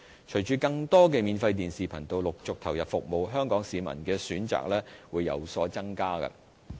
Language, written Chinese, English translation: Cantonese, 隨着更多免費電視頻道陸續投入服務，香港市民的選擇會有所增加。, With the commissioning of more free - to - air television channels members of the public will have more options